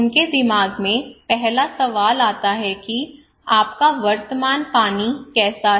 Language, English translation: Hindi, The first question come to their mind that how is your present water